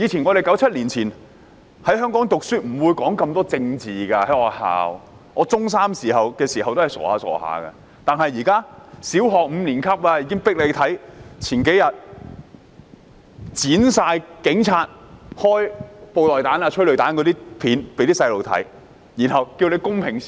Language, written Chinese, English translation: Cantonese, 1997年前，香港的學校不會討論那麼多政治，我中三時仍很單純，但現在的學校強迫小學五年級的學生觀看警察發射布袋彈、投放催淚彈的剪輯片段，然後請小孩公平思考。, Before 1997 politics was seldom talked about in local schools . When I was a Secondary Three student I was very simple minded . Yet nowadays schools force Primary Five students to watch edited video clips about police officers firing beanbag rounds and tear gas rounds and then urge these children to think critically